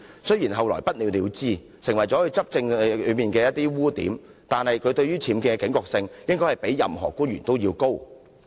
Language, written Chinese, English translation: Cantonese, 雖然其後不了了之，而這亦成為她執政的污點，但她對僭建的警覺性理應較其他官員為高。, Although the problem was ultimately left unsettled which had become a blemish of Carrie LAMs governance she should have a higher degree of alertness towards UBWs than other public officers